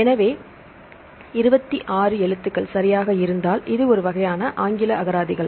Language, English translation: Tamil, So, this is kind of English dictionaries now if there are 26 alphabets right